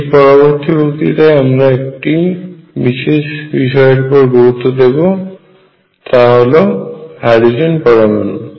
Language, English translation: Bengali, In the next lecture we are going to focus on a particular system and that will be the hydrogen atom